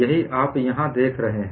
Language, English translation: Hindi, And what do you see in this graph